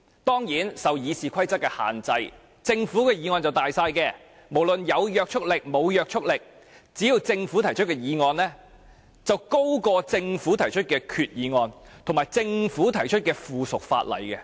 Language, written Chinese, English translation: Cantonese, 當然，由於受到《議事規則》所限，政府的議案是最大的，不管它是否具法律約束力，政府提出的所有議案，其地位均高於政府提出的決議案及附屬法例。, In my view we should deal with the legally binding motions first . Of course subject to the Rules of Procedure RoP Government motions are at the top of the list . Irrespective of whether they are legally binding all Government motions enjoy a higher status than resolutions and subsidiary legislation proposed by the Government